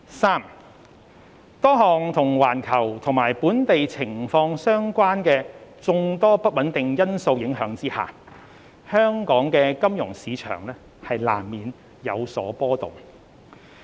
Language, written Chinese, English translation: Cantonese, 三多項與環球及本地情況相關的眾多不穩定因素影響下，香港的金融市場難免有所波動。, 3 Given multiple unstable factors affecting the situation around the world and locally are at play it is inevitable that the financial market in Hong Kong will become volatile